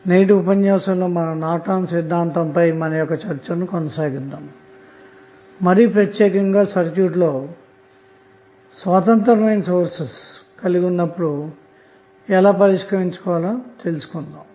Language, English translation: Telugu, Now, in today's class we continue our discussion on Norton's theorem, but in this class we will discuss more about the cases where we have independent sources available in the circuit